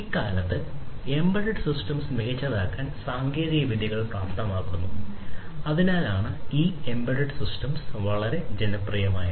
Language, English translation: Malayalam, Nowadays, embedded systems are enabling technologies for making systems smarter and that is why these embedded systems are very popular